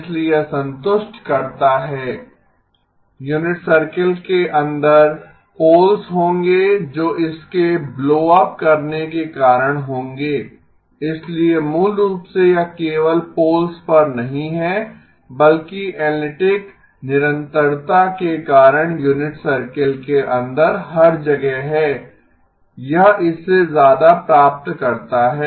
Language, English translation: Hindi, So that satisfies, inside the unit circle there will be poles which will cause it to blow up, so basically it is not only at the poles but everywhere inside the unit circle because of analytic continuation it has got greater than